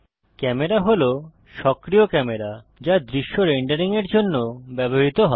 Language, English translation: Bengali, Camera is the active camera used for rendering the scene